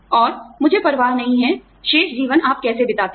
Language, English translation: Hindi, And, I do not care, how you spend, the rest of your life